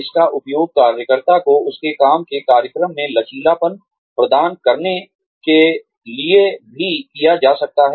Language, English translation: Hindi, It can also be used, to offer the worker, flexibility in his or her work schedule